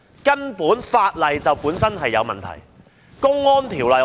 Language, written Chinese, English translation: Cantonese, 根本法例本身就有問題，《公安條例》正是一例。, In fact the crux of the problem lies in the legislation itself and the Public Order Ordinance is a case in point